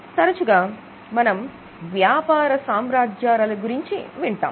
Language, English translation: Telugu, Often we talk about business groups